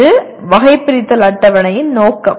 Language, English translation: Tamil, That is broadly the purpose of taxonomy table